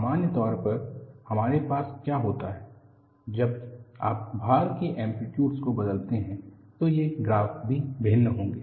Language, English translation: Hindi, In general, what we will have is, when you change the amplitude of the loading, these graphs also will differ